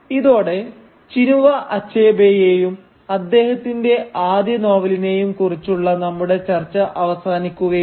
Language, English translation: Malayalam, So, with this we come to an end of our discussion of Chinua Achebe and his first novel